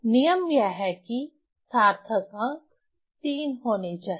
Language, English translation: Hindi, So, rule is that significant figure has to be has to be three